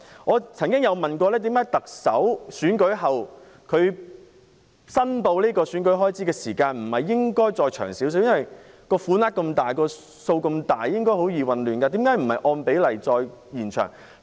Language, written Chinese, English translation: Cantonese, 我曾經詢問當局為何特首選舉後申報選舉開支的日子不可以延長，由於所涉款額龐大，容易造成混亂，當局何以不能按比例延長期限。, I have asked the authorities why the period for submitting the return for election expenses after the Chief Executive Election cannot be extended as the amount involved is enormous and may cause confusion . Why can the authorities not extend the deadline proportionately?